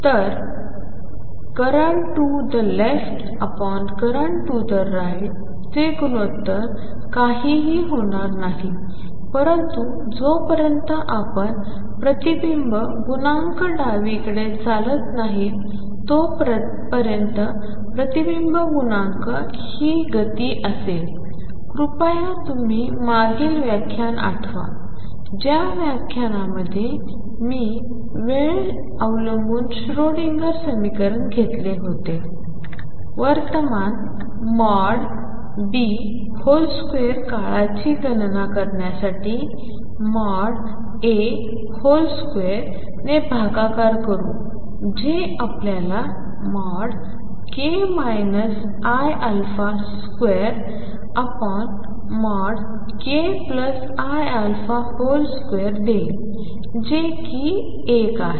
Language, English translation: Marathi, So, the ratio of current to the left divided by current to the right is going to be nothing, but the reflection coefficient unless you would the reflection coefficient is current to the left is going to be the speed this you please go back to the lecture where we took time dependent Schrodinger equation to calculate the current times mod B square current to the right is going to be speed divided by mod A square and this is going to be nothing, but mod of k minus i alpha square over mod of k plus i alpha square which is nothing, but 1